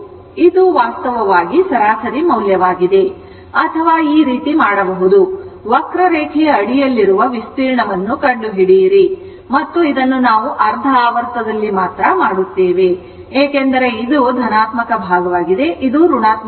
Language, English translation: Kannada, So, this is actually the average value or you can do like this or average value will be, you find out the area under the curve, this is the and we will make it only over the half cycle is because this is positive side, this is negative side